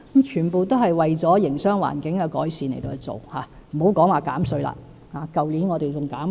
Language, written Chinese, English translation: Cantonese, 全部都是為了改善營商環境而做——也別說政府去年已經減稅。, All such work is done for improving the business environment―not to mention that the Government already reduced the tax rate last year